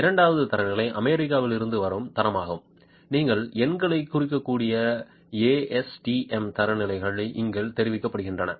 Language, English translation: Tamil, And the second standard is the standard from the United States, the ASTM standards that you can refer to the numbers are reported here